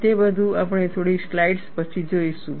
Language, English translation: Gujarati, We will see all that, after a few slides